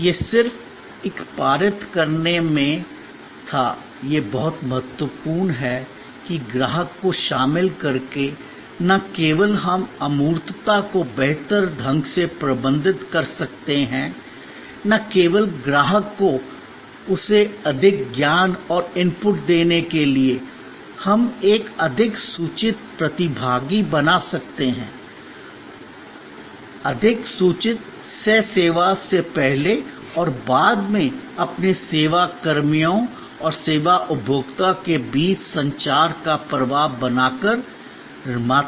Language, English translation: Hindi, This was just in a passing it is too important that by involving the customer, not only we can manage the intangibility better, not only by informing the customer giving him more knowledge and input, we can create a more informed participant, more informed co producer by creating a flow of communication between your service personnel and the service consumer before during and after the service